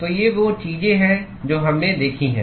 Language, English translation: Hindi, So, these are the things that we have seen